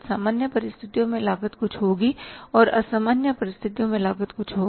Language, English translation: Hindi, Normal and abnormal cost, the cost will be something and abnormal circumstances or cost will be something